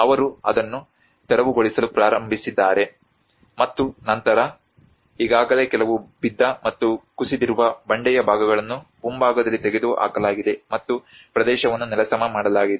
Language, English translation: Kannada, They have started clearing it, and then there are already some fallen and collapsed parts of rock lying in front were removed and the area has been leveled up